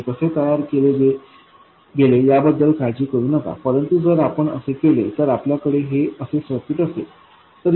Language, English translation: Marathi, Let's not worry about how to do it but if we do it like that this is the circuit we have